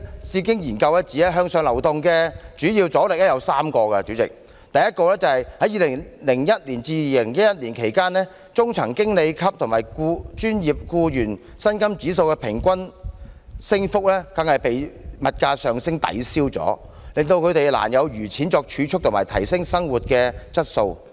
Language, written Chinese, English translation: Cantonese, 智經研究中心指向上流動的主要阻力有3個：第一，在2001年至2011年間，中層經理級與專業僱員薪金指數的平均升幅全被物價上升抵銷，令他們難有餘錢作儲蓄及提升生活質素。, According to the Bauhinia Foundation Research Centre there are three major obstacles for moving upward . Firstly inflation ate up the average pay rise of mid - level managers and professionals between 2001 and 2011 leaving them with little money to save up or improve their quality of life